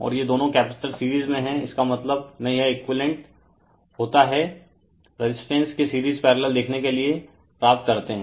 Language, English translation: Hindi, And these two capacitor are in series means it is equivalent to the view obtain the resistance series in parallel